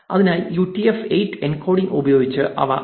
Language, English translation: Malayalam, So, they can be printed using UTF 8 encoding